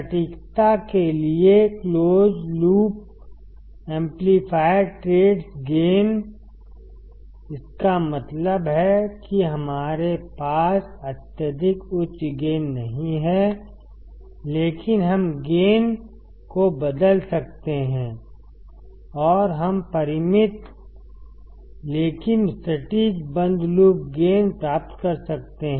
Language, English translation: Hindi, Close loop amplifier trades gain for accuracy; that means, that here we do not have extremely high gain, but we can change the gain and we can have finite, but accurate closed loop gain